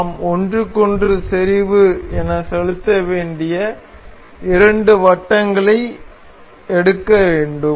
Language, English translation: Tamil, So, the two we need to pick up two circles that need to be concentric over each other